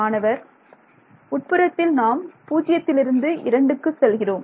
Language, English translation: Tamil, The inside we were just going from 0 or 2 2